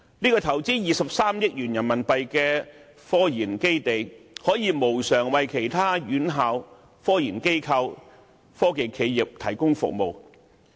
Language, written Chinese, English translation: Cantonese, 這個投資23億元人民幣的科研基地，可以無償為其他院校、科研機構、科技企業提供服務。, This technological research facility of RMB 2.3 billion can provide free services to other organizations such as education institutions technological research institutes and technology enterprises